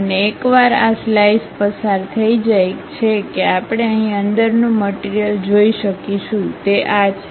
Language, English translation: Gujarati, And, once this slice is passing through that we see a material here, that is this